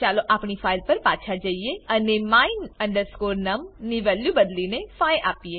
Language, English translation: Gujarati, Lets go back to our file and change the value of my num to 5